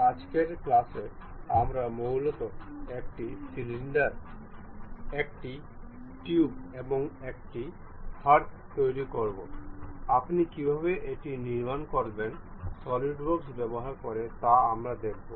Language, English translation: Bengali, In today's class mainly we will construct, a cylinder, a tube, and a hearth, how do you construct these things using Solidworks